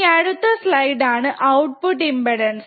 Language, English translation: Malayalam, The next slide is a output impedance